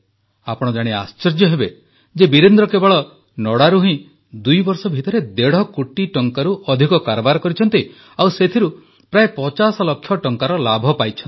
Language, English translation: Odia, You will be amazed to know that in just two years, Virendra ji has traded in stubble in excess of Rupees Two and a Half Crores and has earned a profit of approximately Rupees Fifty Lakhs